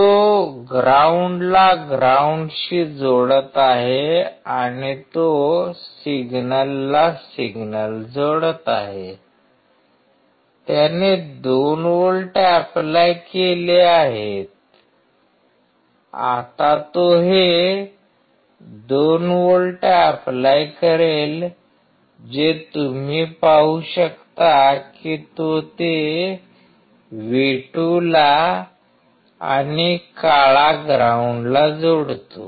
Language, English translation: Marathi, He is connecting the ground to ground and he is connecting the signal to signal, whatever he has applied 2 volts, now he will apply these 2 volts which you can see he is connecting to the V2 and black one to ground excellent